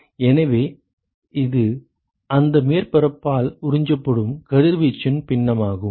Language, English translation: Tamil, So, that is the fraction of radiation which is absorbed by that surface